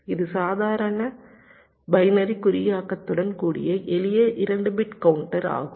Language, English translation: Tamil, this is a simple two bit counter with normal binary encoding